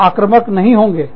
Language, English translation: Hindi, We will not become aggressive